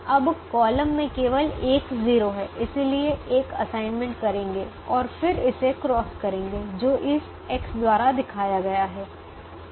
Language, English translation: Hindi, now the column has only one zero, so make an assignment and then cross this, which is shown by this x coming now